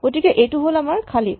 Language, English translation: Assamese, So, this is our empty